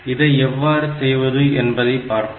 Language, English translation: Tamil, So, let us see how to do this